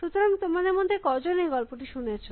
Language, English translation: Bengali, So, as you know, how many of you heard about this story